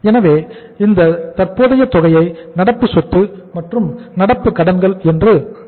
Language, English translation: Tamil, So we are calling it as a current, excess of current asset and current liabilities